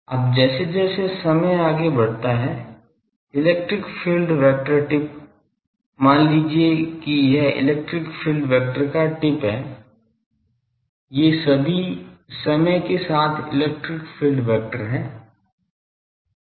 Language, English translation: Hindi, Now as time progresses I can the electric field vector tip; suppose this is the tip of electric field vector, these are all electric field vector with time